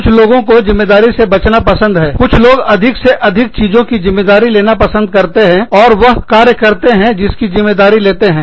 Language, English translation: Hindi, Some people, like to take on the responsibility, of more and more things, and do, what they take on the responsibility for